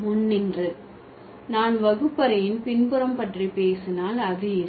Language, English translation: Tamil, And standing in the front, if I talk about the back of the classroom, that will be there